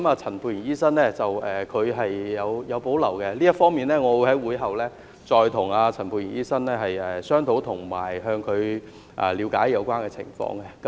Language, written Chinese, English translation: Cantonese, 陳沛然議員對此有保留，這方面我會在會議後再與陳沛然議員商討及向他了解有關情況。, Dr Pierre CHAN has reservations about this . I will discuss it with him and ask him about the situation after the meeting